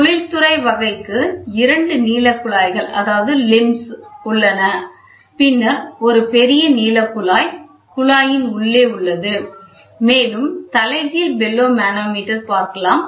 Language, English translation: Tamil, So, the industrial type we saw with two limbs then one large limb with one tube inside, then inverted bellow manometer we saw